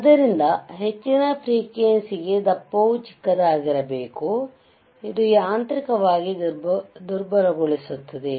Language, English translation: Kannada, So, for higher frequency, thickness should be small correct, thickness should be small, whichbut makes it mechanically weak right